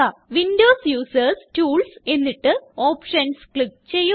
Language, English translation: Malayalam, Windows users can click on Tools and then on Options